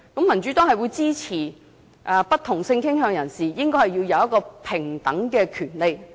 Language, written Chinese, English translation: Cantonese, 民主黨支持不同性傾向人士享有平等權利。, The Democratic Party supports equal rights for people with different sexual orientation